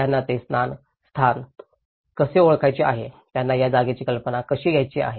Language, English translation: Marathi, How they want to perceive this place, how they want to conceive this place